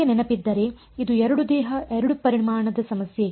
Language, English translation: Kannada, If you remember this was the two body 2 volume problem